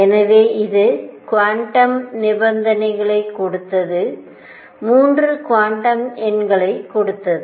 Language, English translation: Tamil, So, it gave the quantum conditions, gave 3 quantum numbers